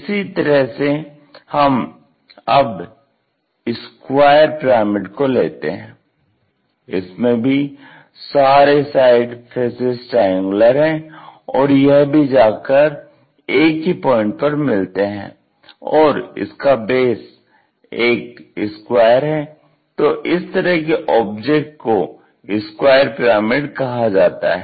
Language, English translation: Hindi, Similarly, let us pick square pyramid we have triangular faces all are again meeting at that point and the base is a fixed object, here in this case it is a square